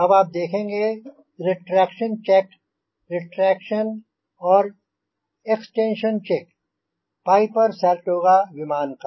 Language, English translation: Hindi, now you will see the retraction check, the retraction and extension check of piper saratoga aircraft